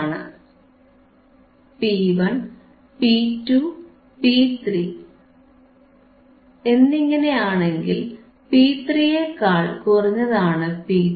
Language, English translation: Malayalam, iIf I say P 1, peak 1, P 2 , peak 2, P, P 3, peak 3, then P 1 is less thean P 2 is less thean P 3